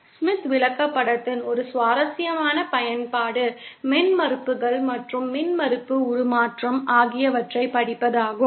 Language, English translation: Tamil, One interesting application of the Smith chart is to read impedances and impedance transformation